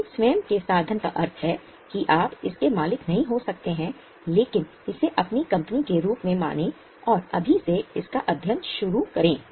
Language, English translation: Hindi, Your own means you may not be owning it but consider it as your company and start studying it from now